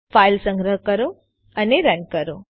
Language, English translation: Gujarati, Save the file run it